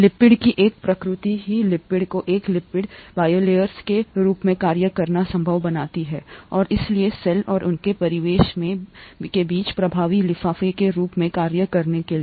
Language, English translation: Hindi, The nature of the lipid itself makes it possible for lipids to act as or lipid bilayers to act as effective envelopes between the cell and their surroundings